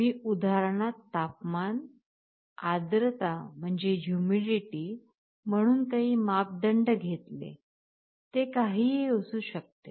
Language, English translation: Marathi, In the example, I took the parameters as temperature, humidity, it can be anything